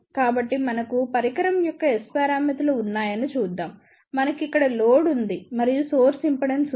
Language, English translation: Telugu, So, let us see we have S parameters of the device, we have a load here and there is a source impedance